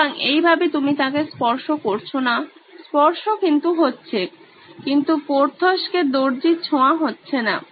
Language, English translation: Bengali, So, that way you are not touching him, so there is touching going on but tailor touching Porthos doesn’t happen